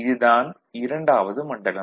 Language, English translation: Tamil, So, this is the region II